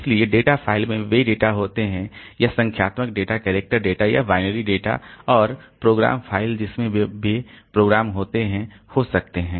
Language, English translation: Hindi, So, data files they contain data, it may be numeric data, character data or binary data and the program files they contain program